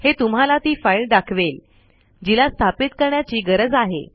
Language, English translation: Marathi, And it shows you the file that needs to be installed